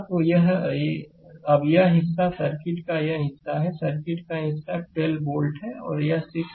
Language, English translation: Hindi, So, now this portion this portion of the circuit this portion of the circuit is 12 volt and this 6 ohm are in series